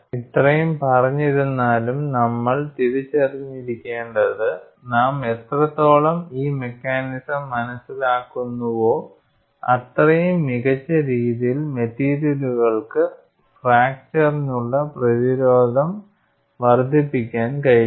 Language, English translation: Malayalam, Having said that you should also realize however, the more we understand about these mechanisms, the better we will be able to fashion materials to enhance their resistance to fracture